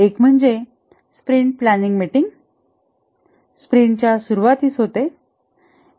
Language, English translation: Marathi, One is the sprint planning meeting which occurs at the start of a sprint